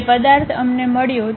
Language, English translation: Gujarati, That object we got